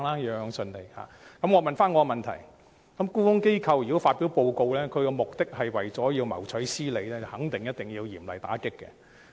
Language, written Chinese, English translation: Cantonese, 如果沽空機構發表報告的目的是為了謀取私利，便一定要嚴厲打擊。, If short selling institutions publish reports for private gains they must be combated vigorously